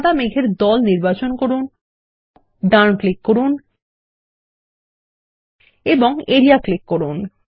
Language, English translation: Bengali, Select the white cloud group and right click for the context menu and click Area